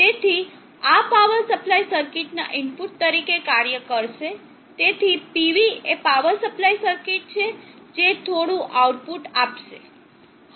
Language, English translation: Gujarati, So this will act as the input to the power supply circuit, so PS is the power supply circuit which will deliver some output